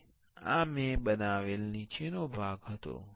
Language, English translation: Gujarati, And this was the bottom part I have created